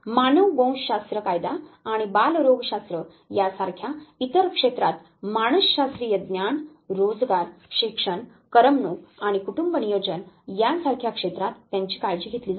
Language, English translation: Marathi, Psychological knowledge to other fields such as anthropology law and pediatrics in such areas as employment, education, recreation and family planning is taken care of them